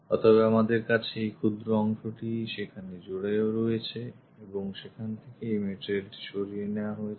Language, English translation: Bengali, So, we have this small portion which is attached there and this one material has been removed